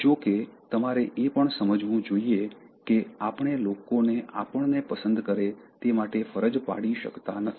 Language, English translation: Gujarati, However, you should also understand that we cannot force people to like us